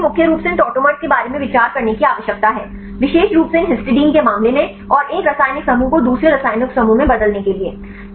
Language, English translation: Hindi, So, now, we need to consider mainly about these tautomers specifically in the case of these histidines and the conversion of 1 chemical group to the another chemical group